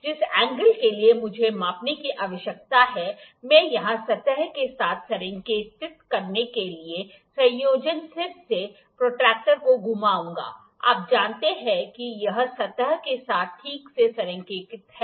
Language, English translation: Hindi, The angle for which I need to measure, I will rotate this I will rotate the combination or sorry the protractor of the combination head to align with the surface here, you know it is aligned properly with the surface